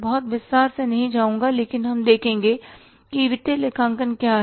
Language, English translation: Hindi, I will not go much in detail but we will see that what the financial accounting is